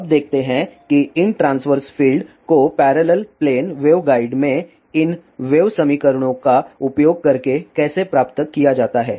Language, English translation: Hindi, Now, let us see how these longitudinal fields derived using these wave equations in parallel plane wave guide